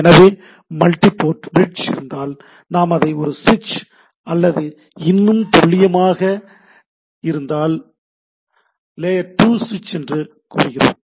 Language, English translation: Tamil, So, if it is, if there is a multi port bridge, we primary we say that is a switch or more precisely is a layer 2 switch